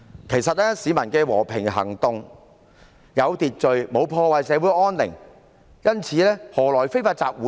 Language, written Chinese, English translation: Cantonese, 其實，市民的和平行動甚有秩序，並無破壞社會安寧，何來非法集會呢？, The peoples peaceful activity was actually carried out in an orderly manner . They did not ruin social peace . How would there be any unlawful assembly?